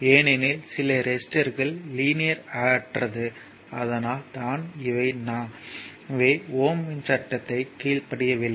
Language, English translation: Tamil, Because resistors may be non linear in that case, it does not obey the your Ohm’s law